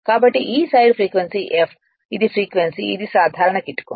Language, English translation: Telugu, So, it i[s] this side frequency is F this is a frequency this is a simple trick right